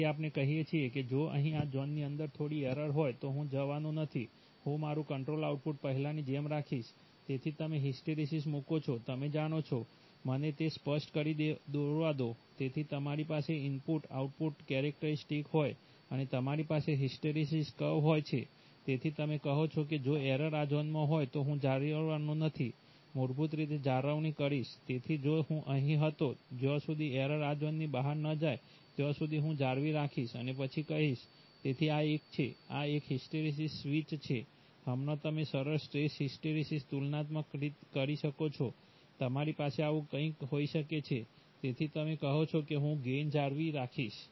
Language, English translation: Gujarati, So we say that if the error is little bit here, within this zone then I am NOT going to, I am going to keep my control output as before, so you put a hysteresis, you know, let me draw it clearly so you have an input output characteristic and you have a hysteresis curve, so you have, so you say that if the error is in this zone then i am going to maintain, basically maintain, so if i am, i was here, i will maintain unless the error goes out of this zone and then i will, so this is a, this is a hysteresis switch, right, now you can have a smooth stress hysteresis comparative, you can have something like this also, so you say that I am going to keep the gain